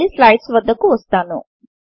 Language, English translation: Telugu, Come back to the slides